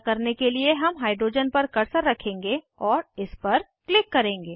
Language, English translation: Hindi, To do so, we will place the cursor on the hydrogen and click on it